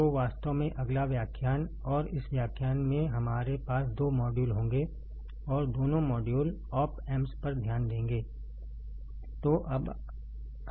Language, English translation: Hindi, So, next lecture in fact, and in this lecture we have we will have two modules; and both the modules will focus on op amps all right